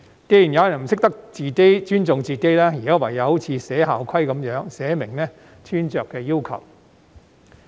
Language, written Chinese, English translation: Cantonese, 既然有人不懂得尊重自己，現時唯有好像訂立校規般，寫明穿着的要求。, Since there are people who do not know how to respect themselves we have no alternative but to set out the attire requirement as if writing down a school rule